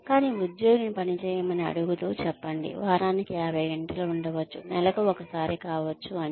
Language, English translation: Telugu, But, asking the employee to work, say, maybe up to 50 hours a week, say, may be once a month